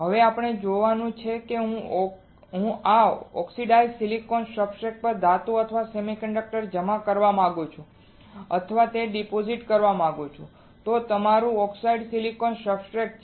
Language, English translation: Gujarati, Now, what we have to see is if I deposit or if I want to deposit a metal or a semiconductor on this oxidized silicon substrate this is what is your oxidized silicon substratet